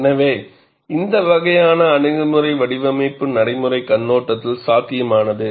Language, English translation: Tamil, So, this kind of approach is viable, from a design practice point of view